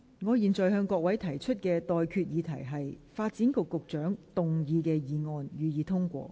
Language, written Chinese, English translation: Cantonese, 我現在向各位提出的待決議題是：發展局局長動議的議案，予以通過。, I now put the question to you and that is That the motion moved by the Secretary for Development be passed